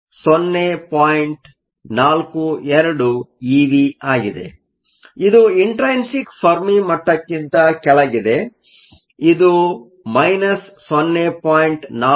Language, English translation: Kannada, So, This is below the intrinsic fermi level and it is minus 0